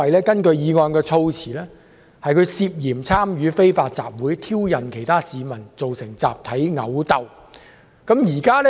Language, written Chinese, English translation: Cantonese, 根據議案措辭，林議員涉嫌參與非法集會，挑釁其他市民，造成集體毆鬥。, According to the wording of the motion Mr LAM is suspected of participating in an unlawful assembly and provoking other members of the public thus causing a mass brawl